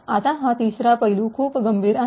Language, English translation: Marathi, Now this third aspect is very critical